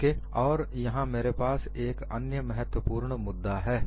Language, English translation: Hindi, And what I have here is another important issue